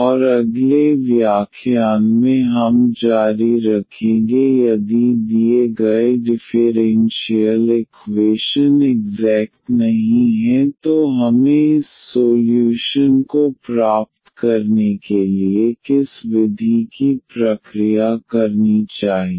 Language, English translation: Hindi, And in the next lecture we will continue if the given differential equation it not exact then what method we should process to get this solution